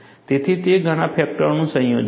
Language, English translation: Gujarati, So, it is a combination of several factors